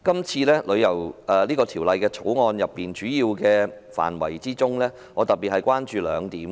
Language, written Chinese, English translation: Cantonese, 就《條例草案》的主要範圍，我特別關注兩點。, Regarding the major areas of the Bill I am particularly concerned about two aspects